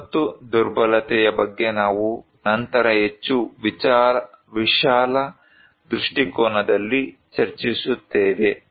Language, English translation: Kannada, We will later on also discuss about disaster vulnerability in a more broader perspective